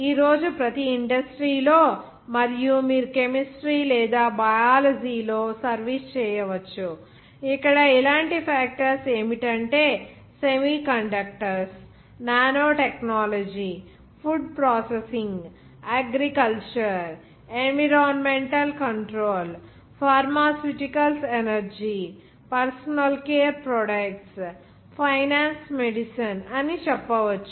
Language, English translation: Telugu, Today in every industry and you can service profession in which chemistry or Biology, where those factors including you can say that semiconductors, nanotechnology, food processing, agriculture, environmental control, pharmaceuticals energy, even personal care products, finance medicine and of course